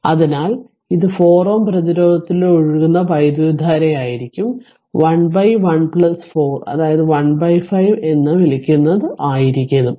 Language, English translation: Malayalam, So, it will be current flowing through 4 ohm resistance will be your what you call that is 1 upon 1 plus 4 is equal to ah your that is 1 upon 5